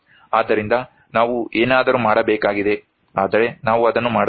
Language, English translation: Kannada, So, we need something to do and we are not doing it